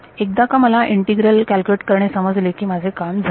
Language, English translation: Marathi, once I know how to calculate this integral I am done